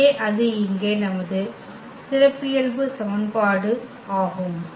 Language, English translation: Tamil, So, that is our characteristic equation here